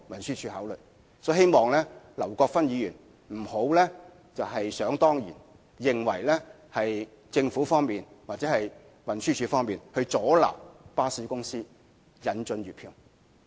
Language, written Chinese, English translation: Cantonese, 所以，我希望劉國勳議員不要想當然認為政府或運輸署阻撓巴士公司引進月票計劃。, Hence I hope Mr LAU Kwok - fan can cease thinking as a matter of course that the Government or TD has hindered the introduction of any monthly pass schemes by the bus company